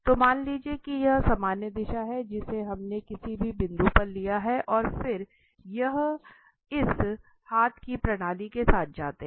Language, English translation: Hindi, So, suppose this is the normal direction, we have taken at any point and then we go with this right handed system